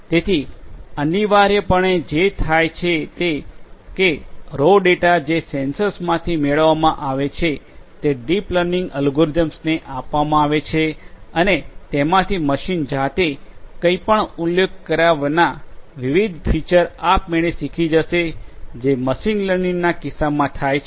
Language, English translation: Gujarati, So, essentially what happens is the raw data from the sensors are fed into these deep learning algorithms and from that different features will automatically different features will automatically get learnt without actually manually specifying those features which used to happen in the case of machine learning